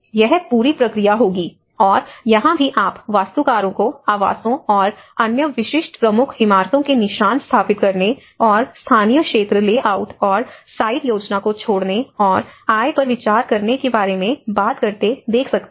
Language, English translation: Hindi, So, this whole process will take, and even here you can see architects talk about establish the footprints of the dwellings and other typical key buildings and drop local area layouts and site planning and consider income